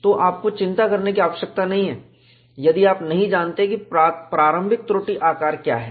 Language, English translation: Hindi, So, you do not have to worry, if you do not know, what is the initial flaw size